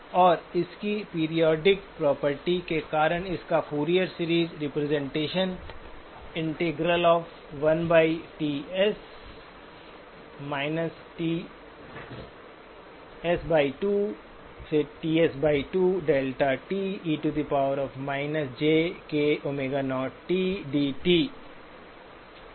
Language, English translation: Hindi, And because of its periodic property, it has, it lends itself to Fourier series representation